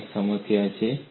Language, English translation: Gujarati, This is one problem